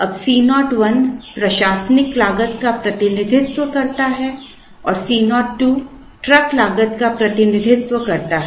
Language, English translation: Hindi, Now, C 0 1 represents the admin cost and C 0 2 represents the truck cost